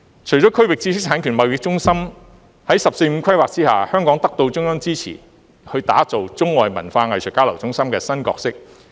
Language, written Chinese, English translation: Cantonese, 除了建設區域知識產權貿易中心外，在"十四五"規劃下香港也得到中央支持，要打造中外文化藝術交流中心的新角色。, Apart from becoming a regional intellectual property trading centre Hong Kong will also assume a new role with the support of the Central Government under the 14th Five - year Plan and develop into an East - meet - West centre for international cultural and arts exchange